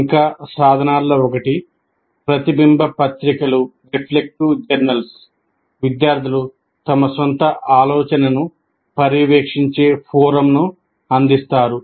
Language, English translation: Telugu, Further, one of the tools is reflective journals providing a forum in which students monitor their own thinking